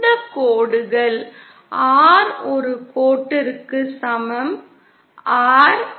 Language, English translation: Tamil, These lines are like the R equal to one line, R equal to 0